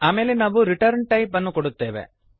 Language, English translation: Kannada, Then we give the return type